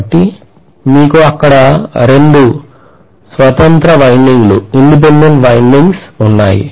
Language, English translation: Telugu, So you have two independent windings there also